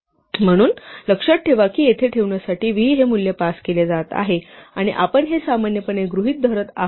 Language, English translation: Marathi, So, remember that v is being passes a value to be put in here and we are assuming normally that v would be a immutable value